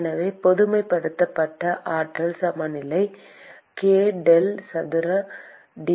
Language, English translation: Tamil, So, the generalized energy balance is k del square T